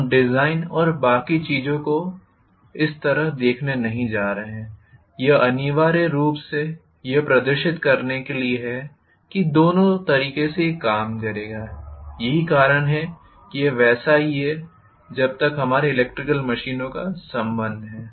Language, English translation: Hindi, We are not going to look at optimization of design and things like that, it is essentially to demonstrate that either way it will work, that is the reason it is like that as far as our electrical machines is concerned